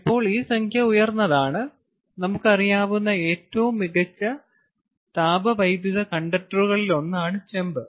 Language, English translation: Malayalam, lets see to compare copper, which is one of the best thermal conductors that we know of